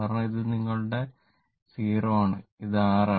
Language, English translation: Malayalam, Because, what you call this is your 0 and this is R